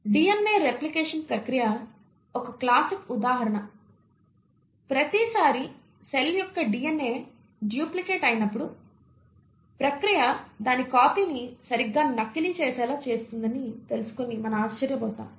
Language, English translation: Telugu, A classic example is the process of DNA replication; we will be astonished to know that every time a cellÕs DNA duplicates, the process will see to it that it duplicates its copy exactly